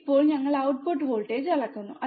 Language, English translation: Malayalam, Now, we are measuring the output voltage